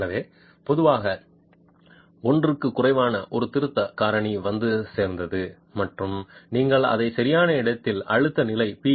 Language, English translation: Tamil, So, typically a correction factor which is less than 1 is arrived at and you multiply that with the in situ stress level p